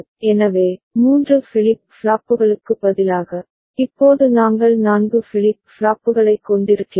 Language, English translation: Tamil, So, instead of three flip flops, now we are having four flip flops